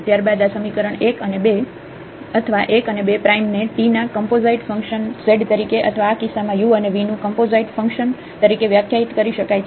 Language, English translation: Gujarati, Then the equations here 1 and this 2 together or 1 with this 2 prime together are said to be to define z as composite function of t or in this case composite function of u and v